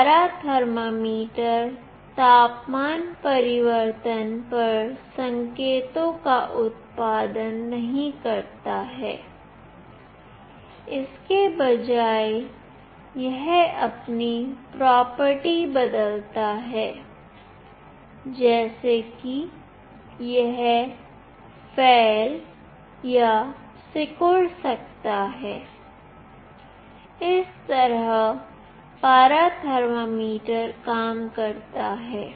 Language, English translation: Hindi, A mercury thermometer does not produce signals on temperature change, instead it changes its property like it can expand or contract this is how a mercury thermometer works